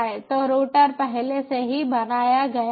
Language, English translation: Hindi, so router is already created